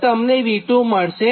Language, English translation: Gujarati, and then you get the v two